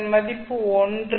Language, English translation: Tamil, Now the value of this is 1